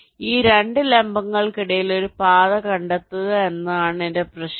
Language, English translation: Malayalam, so my problem is to find a path between these two vertices